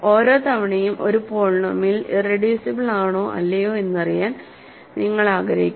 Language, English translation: Malayalam, So, every time you are asked to check or you want to know if a polynomial is irreducible or not